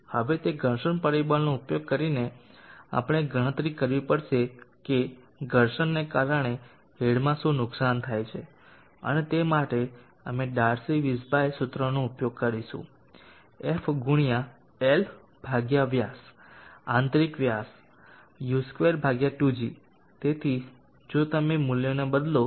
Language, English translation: Gujarati, 018683 now that is the friction factor, now using that friction factor we have to calculate what is the head loss due to friction and for that we will use the DARCY WEISBACH formula f into L /d inner diameter u2/2g so if you substitute the values you will get 18